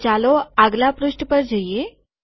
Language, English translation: Gujarati, So lets go to the next page